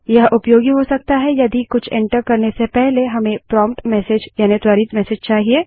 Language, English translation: Hindi, This can be useful if say we want a prompt message before entering something